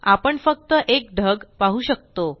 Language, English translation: Marathi, But we can see only one cloud